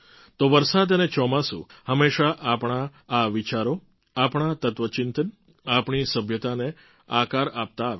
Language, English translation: Gujarati, At the same time, rains and the monsoon have always shaped our thoughts, our philosophy and our civilization